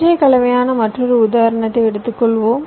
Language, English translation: Tamil, lets take another example, slightly composite one